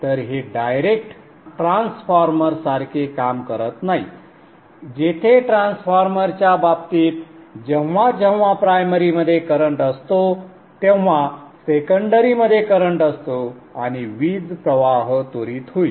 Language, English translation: Marathi, So this is not acting like a direct transformer where in the case of transformer, there is a current flowing in the primary, there will be a current flowing in the secondary and power flow will be instant by instant